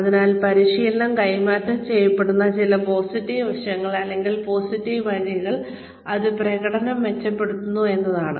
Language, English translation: Malayalam, So, some positive aspects, or positive ways, in which, training is transferred is, that it enhances performance